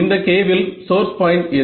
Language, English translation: Tamil, In this K, what is the source point